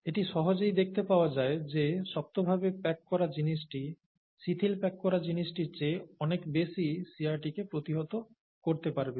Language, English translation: Bengali, So it is quite easy to see that the tightly packed thing is going to resist shear much more than the loosely packed thing